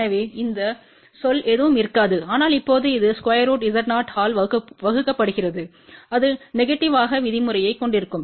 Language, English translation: Tamil, So, the term will be nothing, but now, this divided by square root Z 0 and that will have a negative term